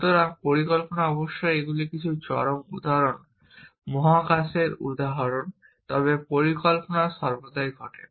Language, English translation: Bengali, So, planning of course, these are some of extreme examples space example, but planning happens all the time essentially